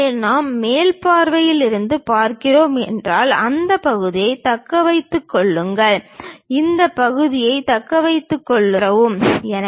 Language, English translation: Tamil, So, if we are looking from top view retain this part, retain this part, remove this